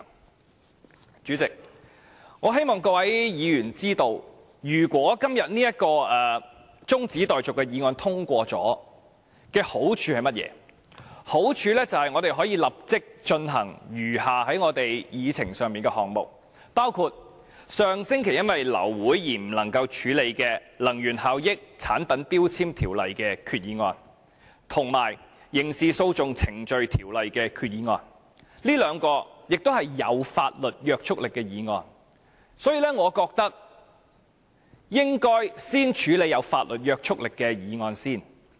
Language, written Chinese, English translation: Cantonese, 代理主席，我希望各位議員知道，若今天這項中止待續議案獲得通過，會有甚麼好處，就是我們可以立即處理議程上的餘下項目，包括上星期由於流會而無法處理的根據《能源效益條例》動議的擬議決議案，以及根據《刑事訴訟程序條例》動議的擬議決議案，這兩項均是具法律約束力的議案，我認為應該先處理具法律約束力的議案。, Deputy President I hope Members will know the merits of passing this motion to adjourn the debate today . That is we will be able to deal with the remaining items on the Agenda immediately including the proposed resolution under the Energy Efficiency Ordinance and the one under the Criminal Procedure Ordinance which have been deferred since the meeting was aborted last week . Both are legally binding motions